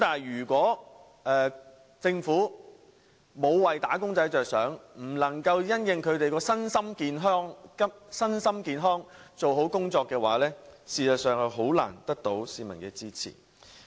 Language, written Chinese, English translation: Cantonese, 如果政府沒有為"打工仔"着想，不能因應他們的身心健康做好工夫的話，便實在難以得到市民支持。, It would be difficult for the Government to win popular support if it does not make efforts on the physical and mental well - being of wage earners